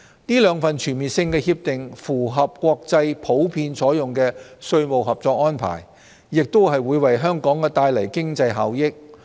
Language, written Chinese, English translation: Cantonese, 這兩份全面性協定符合國際普遍採用的稅務合作安排，也會為香港帶來經濟效益。, These two CDTAs comply with the tax cooperation arrangements generally adopted by the international community and will also bring economic benefits to Hong Kong